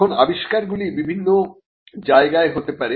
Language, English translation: Bengali, Now, invention manifest in different places